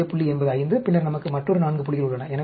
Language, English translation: Tamil, Central point is 5, and then, we have a, another 4 points